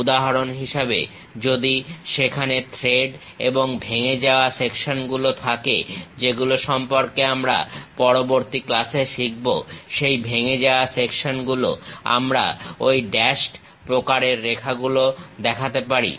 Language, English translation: Bengali, For example, if there are threads and broken out sections which we will learn in the next class, during that broken out sections we can really show that dashed kind of lines